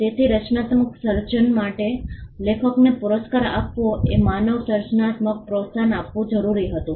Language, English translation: Gujarati, So, rewarding the author for the creating creation of the work was essential for promoting human creativity